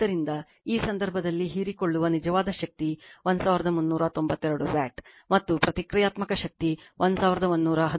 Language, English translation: Kannada, So, in this case, the real power absorbed is 1392 watt, and reactive power is 1113 var